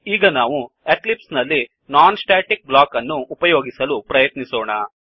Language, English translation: Kannada, Now, let us switch to Eclipse and try to use a non static block